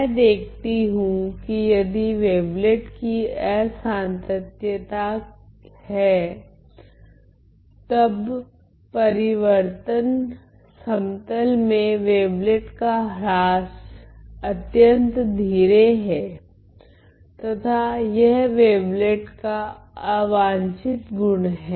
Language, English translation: Hindi, I saw that if the wavelet has discontinuity, then the decay of the wavelet in the transform plane is very slow and that is an undesirable feature of the wavelet